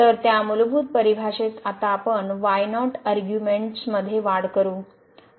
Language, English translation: Marathi, So, in that fundamental definition now we will make an increment in arguments